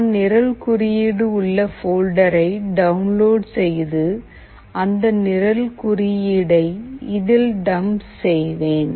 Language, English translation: Tamil, I am going to the download folder, where the code is available, which I will dump it in this